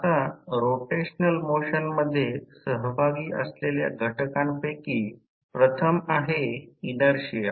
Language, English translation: Marathi, Now, the elements involved in the rotational motions are first inertia